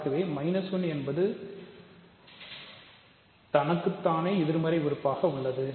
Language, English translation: Tamil, So, minus 1 has a multiplicative inverse